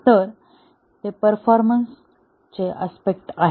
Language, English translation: Marathi, So, those are the performance aspects